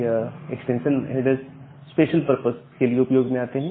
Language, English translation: Hindi, So, these extension headers are used for special purposes